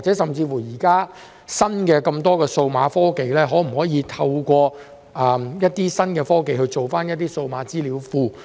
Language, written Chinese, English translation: Cantonese, 現時有這麼多新的數碼科技，可否透過新科技建立數碼資料庫？, With so many new digital technologies currently available is it possible to set up a digital database through new technologies?